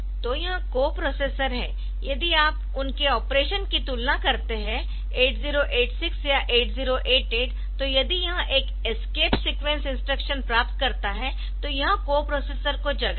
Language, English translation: Hindi, So, this co processors, so if you just compare that their operation, so 8086 86 or 88, so if it finds an escape sequenced instructions, it will wake up the co processor